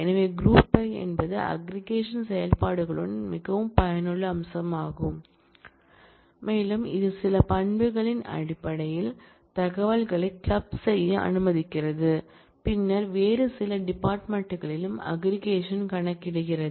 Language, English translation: Tamil, So, group by is a very useful feature along with the aggregation functions and it allows you to club information based on certain attribute and then compute the aggregation on some other field